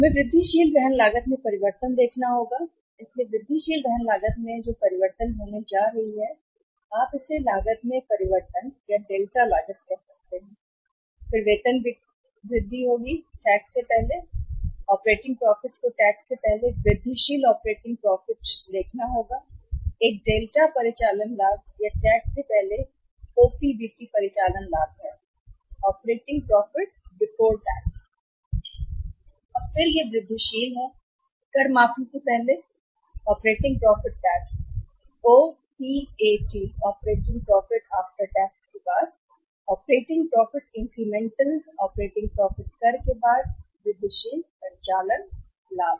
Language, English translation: Hindi, We will have to see the change in the incremental carrying cost, so incremental carrying cost will be going up change, so you can call it as change in cost, delta cost then will be the incremental operating profit, incremental operating profit before tax will have to see incremental operating profit before tax you can see it is a delta operating profit or OPBT operating profit before tax and then it is the incremental operating profit before tax payment operating profit incremental operating profit after tax OPAT